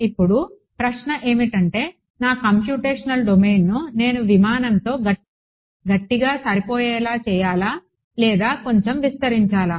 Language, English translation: Telugu, Now the question is where should I draw my computational domain should I just make it tightly fitting with the aircraft or should I expand it a bit right